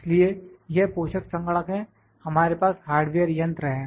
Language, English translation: Hindi, So, this is the host computer, we have the hardware machine